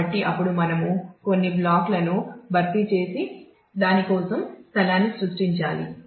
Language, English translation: Telugu, So, then we will have to create replace some of the blocks and create space for that